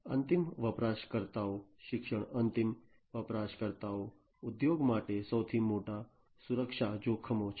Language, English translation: Gujarati, End user education, end users are the biggest security risks for an industry